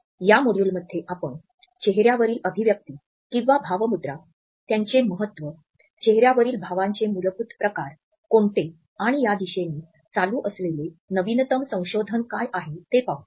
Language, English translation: Marathi, In this module, we would look at the facial expressions, what is their importance, what are the basic types of facial expressions, and also, what is the latest research which is going on in this direction